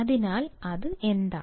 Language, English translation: Malayalam, So, what is that